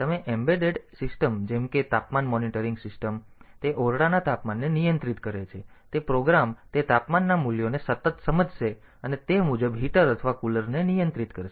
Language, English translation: Gujarati, So, embedded systems like say a temperature monitoring system, so it controls the temperature of a room, so that program it will continually sense the temperature values and accordingly control the heater or the cooler